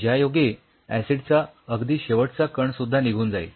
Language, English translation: Marathi, So, that the last trace of acid is kind of removed